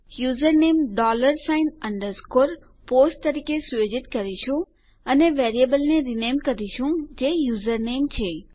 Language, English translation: Gujarati, Well set user name as dollar sign underscore POST and rename the variable which is username